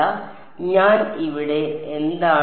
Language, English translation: Malayalam, So, what I am here